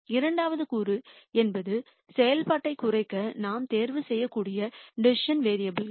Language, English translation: Tamil, The second component are the decision variables which we can choose to minimize the function